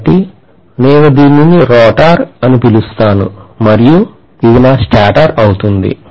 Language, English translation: Telugu, So I call this as the rotor and this is going to be my stator